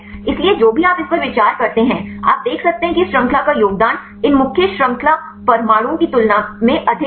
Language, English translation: Hindi, So, whatever this you consider you can see this side chain contribution is higher than that of these main chain atoms